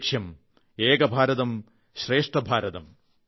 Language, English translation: Malayalam, Ek Bharat, Shreshth Bharat